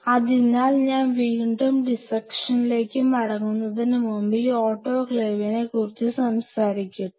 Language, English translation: Malayalam, So, just before I again get back to the dissecting thing, let me talk about this autoclave stuff